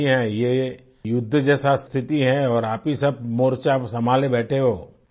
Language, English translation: Hindi, This is a warlike situation and you all are managing a frontline